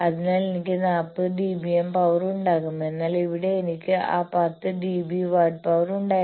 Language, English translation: Malayalam, So, I will have 40 dB m of power whereas, here I had that 10 dB watt of power